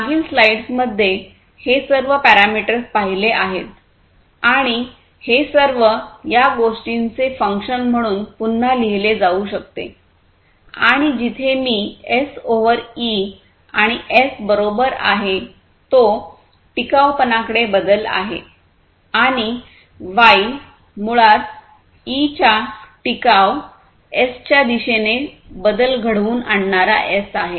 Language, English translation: Marathi, So, all these parameters that we have seen in the previous slide and so, this basically can be again rewritten as a function of all these is and where I equal to S over E and S is basically the change towards the sustainability and Y is basically the exponent of the change towards sustainability S of E